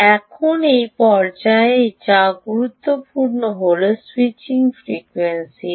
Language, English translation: Bengali, now what is very important in this stage, at this stage, is what is the switching frequency